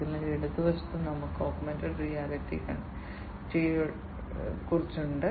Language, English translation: Malayalam, So, on the left hand side we have the augmented reality eyeglasses